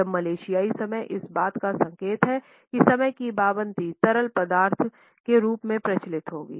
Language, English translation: Hindi, Now Malaysian time is an indication that the punctuality would be practiced in a fluid fashion